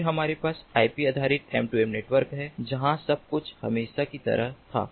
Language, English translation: Hindi, then we have the ip based m two m network, where everything was as usual